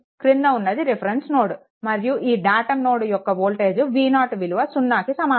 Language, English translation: Telugu, And this is your reference node datum node, and this voltage v 0 is equal to 0, right